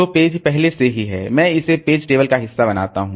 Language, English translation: Hindi, So, the page is already there, I just make it part of the page table